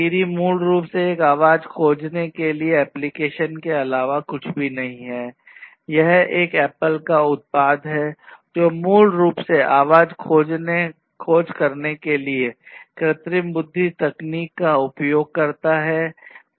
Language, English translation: Hindi, Siri basically is nothing, but an application of voice search, it is an Apple product which basically uses artificial intelligence techniques in order to have and in order to perform voice search